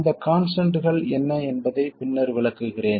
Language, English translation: Tamil, I will later explain what all these constants are